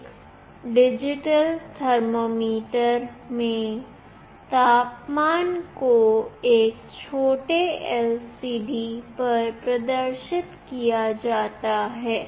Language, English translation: Hindi, In a digital thermometer, the temperature is displayed on a tiny LCD